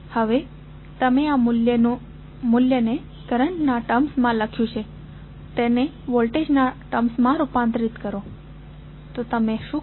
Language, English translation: Gujarati, Now, you have written this value in terms of current converts them in terms of voltage, so what you will do